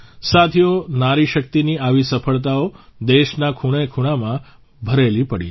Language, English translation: Gujarati, Friends, such successes of women power are present in every corner of the country